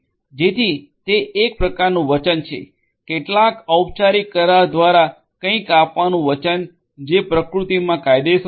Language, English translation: Gujarati, So, it is some kind of a promise; promise of delivering something through some formal agreement which is often legal in nature